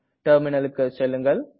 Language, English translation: Tamil, Let us go to the Terminal now